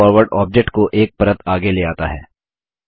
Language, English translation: Hindi, Bring Forward brings an object one layer ahead